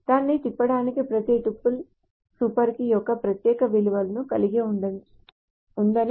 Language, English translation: Telugu, So to turn it around, we can also say that each tuple has an unique value of the super key